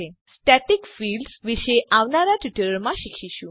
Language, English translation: Gujarati, We will learn about static fields in the coming tutorials